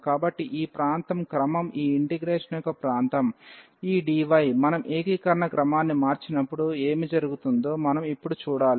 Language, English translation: Telugu, So, this region is the order is the region of the integration this d, which we have to now see when we change the order of integration what will happen